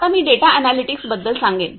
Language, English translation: Marathi, Now I will say about data analytics